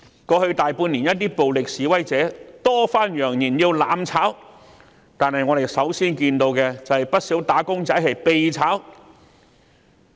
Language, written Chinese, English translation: Cantonese, 過去大半年，一些暴力示威者多番揚言要"攬炒"，但我們首先看到的是不少"打工仔"被"炒"。, In the past six months or so some violent protesters have repeatedly threatened to bring forth mutual destruction but the first thing we can see is the sacking of quite a number of wage earners